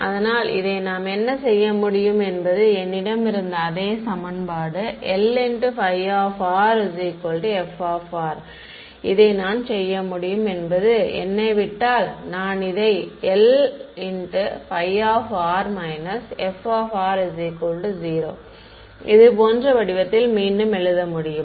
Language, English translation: Tamil, So, what we can do with this is this same equation that I had L of phi of r is equal to f of r what I will do is let me rewrite this in the form like this L phi r minus f of r is equal to 0 ok